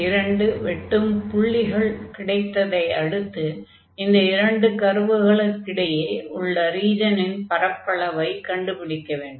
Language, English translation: Tamil, So, these are the two points and now we will compute the area of this region enclosed by these two curves